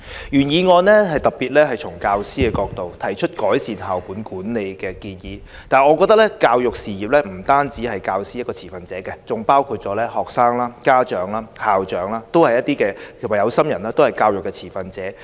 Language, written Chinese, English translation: Cantonese, 原議案特別從教師的角度，提出改善校本管理的建議，但我認為教育事業不止教師是持份者，學生、家長、校長和有心人都是持份者。, The original motion has proposed measures to improve school - based management particularly from the perspective of teachers . However I think stakeholders in education are not limited to teachers but include students parents school principals as well as those who care about education